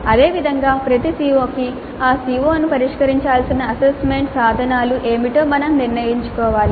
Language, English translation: Telugu, For a CO we already have decided what are the assessment instruments which should address that CO